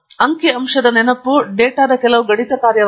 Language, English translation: Kannada, Remember statistic is some mathematical function of the data